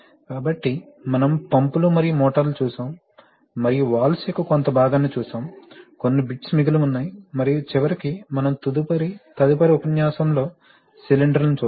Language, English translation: Telugu, So, we will continue with this we have seen pumps and motors and we have seen part of the Valve’s, some bits are left and finally we will see the cylinders in the next lecture